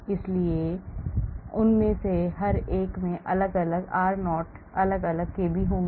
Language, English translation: Hindi, so each one of them will have different r0 different kb